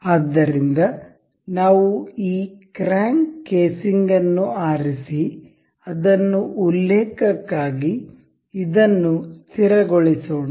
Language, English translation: Kannada, So, let us pick this crank casing and fix this for the reference